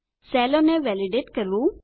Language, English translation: Gujarati, How to validate cells